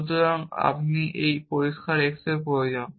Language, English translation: Bengali, So, I need this clear x at that point